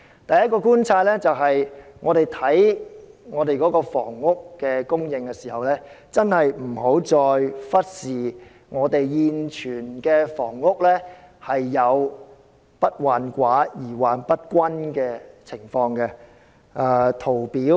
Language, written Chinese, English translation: Cantonese, 第一，我們審視香港的房屋供應時，確實不應再忽視現存的房屋存在"不患寡而患不均"的情況。, First in examining the housing supply in Hong Kong we should not overlook the existing situation that the problem lies not in shortage but in unequal distribution